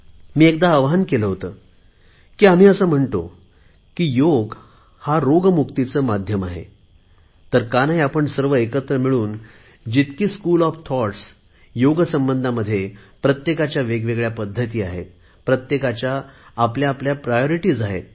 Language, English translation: Marathi, When we say that Yoga is a way to rid oneself of illnesses, then why don't we bring together all the different schools of thought of Yoga, which have their own methods, their own priorities and their own experiences